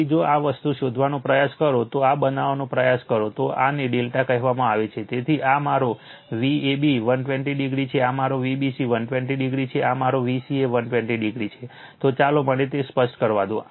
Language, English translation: Gujarati, So, if you try to find out if you try to find out this thing, your what you call if you try to make this delta, so, this is my V ab this all 120 degree, 120 this is my V ca, so this my V bc no, so just let me clear it